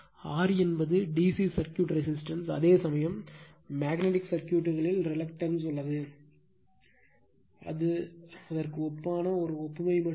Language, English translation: Tamil, And R is the resistance in DC circuit, whereas in your magnetic circuit is the reluctance right, it is just a analogy to that analogous to that right